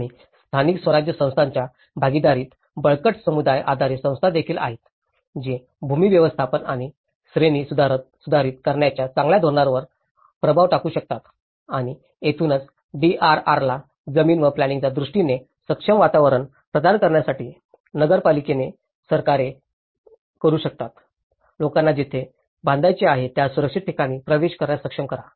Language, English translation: Marathi, And there is also strong community based organizations in partnership with local government which can influence the better policies for land management and upgrading and this is where the municipal governments can do to provide an enabling environment for DRR in terms of land and planning, is to enable people to have access to safe land on which to build